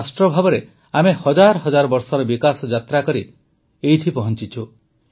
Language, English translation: Odia, As a nation, we have come this far through a journey of development spanning thousands of years